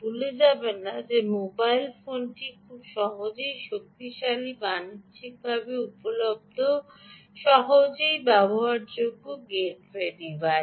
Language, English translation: Bengali, don't forget that the mobile phone is also a very powerful, hardened, commercially available, easily deployable gateway device